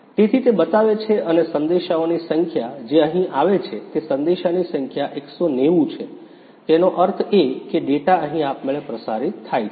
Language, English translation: Gujarati, So, it shows and the number of messages which arrives over here that is 190 number of messages; that means, the data is automatically transmitted here